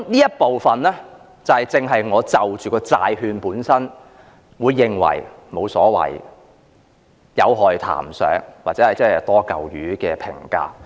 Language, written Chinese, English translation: Cantonese, 這部分正正解釋了我為何得出發行債券本身是無所謂，談不上有害，或者是"多嚿魚"的評價。, This precisely explains why I have commented that bond issuances do not matter itself it cannot be said as harmful but it is just redundant